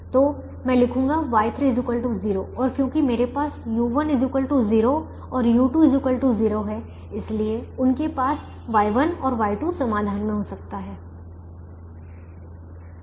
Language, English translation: Hindi, so i'll write: y three is equal to zero and because i have u one equal to zero and u two equal to zero, so they have to